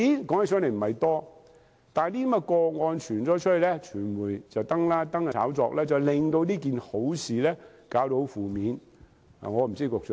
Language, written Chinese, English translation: Cantonese, 金額不算很多，但這些個案被揭發，經傳媒報道及炒作後，便令這件好事變得負面。, Even though that involves not much money as the case was uncovered and reported by the media as well as the media hype that followed the good deed has become very negative